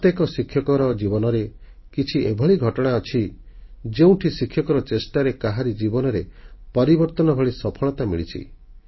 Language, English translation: Odia, In the life of every teacher, there are incidents of simple efforts that succeeded in bringing about a transformation in somebody's life